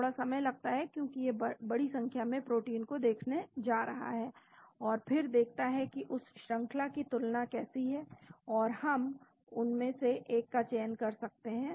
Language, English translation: Hindi, Takes a little time because it is going to look at large number of proteins and then see how that sequence comparison is and then we can select one of them